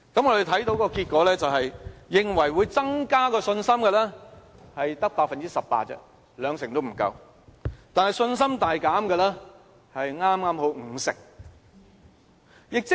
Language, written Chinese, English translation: Cantonese, 我們看到結果是，認為會增加信心的，只有 18%， 兩成也不足夠，但信心大減的剛好是 50%。, Only 18 % of the respondents say they will have more confidence . This group account for even less than 20 % of the total but exactly half of the respondents say they will have significantly less confidence